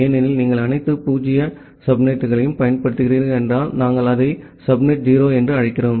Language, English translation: Tamil, Because, if you are using all 0 subnet, we call it as subnet 0